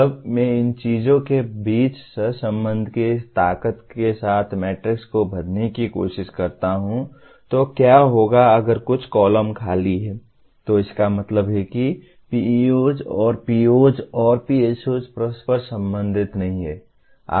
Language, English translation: Hindi, When I try to fill the matrix with the strength of correlation between these things what would happen is, if some columns are empty, that means PEOs and POs and PSOs are not correlated